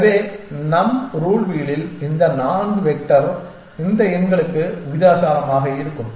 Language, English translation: Tamil, So, in our rule wheel we will have this 4 sector with areas proportional to these numbers essentially